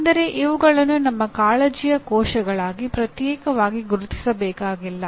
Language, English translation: Kannada, That is I do not have to separately identify these as cells of our concern